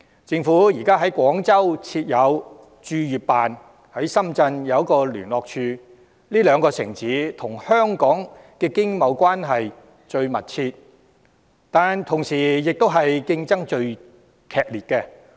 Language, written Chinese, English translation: Cantonese, 政府現時在廣州設有駐粵辦，在深圳亦有一個聯絡處，這兩個城市與香港的經貿關係最密切，但同時與香港的競爭亦最激烈。, Currently the Government has only set up the Hong Kong Economic and Trade Office in Guangdong in Guangzhou in addition to a liaison office in Shenzhen . While these two cities have the closest economic and trade relations with Hong Kong they are also the strongest competitors of Hong Kong